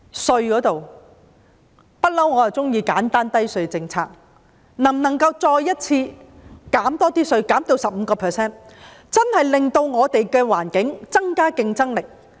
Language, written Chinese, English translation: Cantonese, 稅務方面，我一向喜歡簡單低稅政策，能否再次降低稅率至 15%， 真的令我們的環境增加競爭力？, On the tax front I have always liked the simple low - tax policy . Can the tax rate be reduced to 15 % again so as to truly make our environment more competitive?